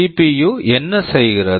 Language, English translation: Tamil, What does the CPU do